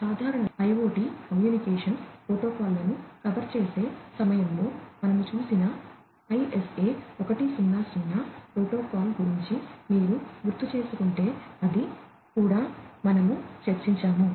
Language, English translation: Telugu, We have also discussed if you recall about the ISA 100 protocol, that we did at the time of covering the generic IoT communication protocols